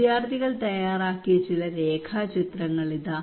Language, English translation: Malayalam, Here some of the sketches done by the students